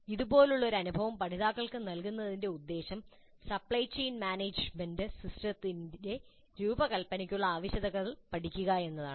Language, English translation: Malayalam, Now the purpose of providing an experience like this to the learners can be to elicit the requirements for the design of a supply chain management system